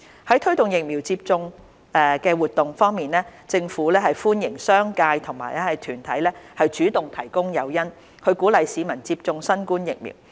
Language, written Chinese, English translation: Cantonese, 推廣疫苗接種的活動政府歡迎商界和團體主動提供誘因，鼓勵市民接種新冠疫苗。, Vaccination promotion activities The Government welcomes the incentives actively provided by the commercial sector and organizations to encourage members of the public to receive COVID - 19 vaccines